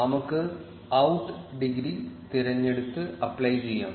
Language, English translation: Malayalam, Let us choose out degree and click apply